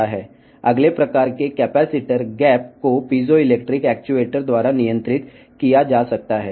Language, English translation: Telugu, Next type of capacitor gap can be controlled by the piezoelectric actuator